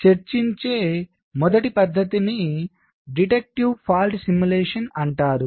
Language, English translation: Telugu, so the first method that we discussed is called deductive fault simulation